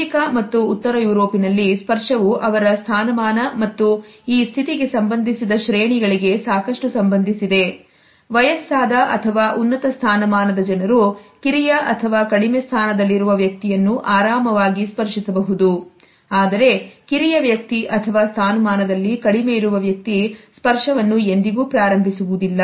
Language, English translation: Kannada, In the USA and in Northern Europe touch also has a lot to do with his status and this status related hierarchies, people who are older or of higher status can comfortably touch a person who is younger or lower in status, but a younger person or a person who is lower in status would never initiate this touch